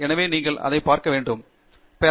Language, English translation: Tamil, So, that is the way you need to look at it